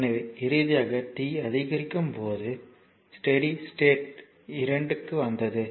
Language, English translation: Tamil, So, when t is increasing finally, it will reach to the steady state the 2 right